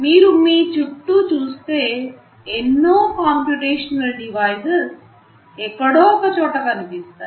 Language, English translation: Telugu, If you look around you, you will find several instances of some computational devices that will be sitting somewhere